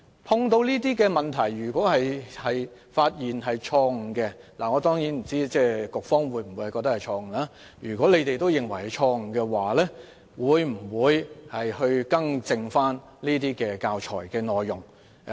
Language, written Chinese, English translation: Cantonese, 碰到這些問題，如果發現有錯誤——當然，我不知道當局是否認為是錯誤——會否更正教材內容？, In case such problems and mistakes are detected will the authorities rectify the contents of the teaching materials?